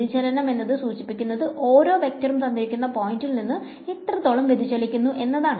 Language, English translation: Malayalam, So, the divergence it sort of measures how much a vector diverges from a given point ok